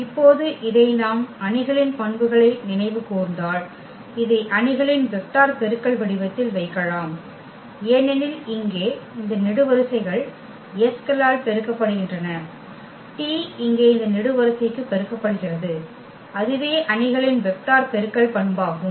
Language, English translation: Tamil, And now this if we if we recall the properties of the matrix which we can put this in the form of matrix vector multiplication because s is multiplied to this column here, t is multiplied to this column here and that is exactly the property of the matrix vector multiplication